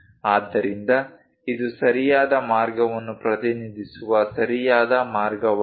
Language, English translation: Kannada, So, this is right way of representing correct way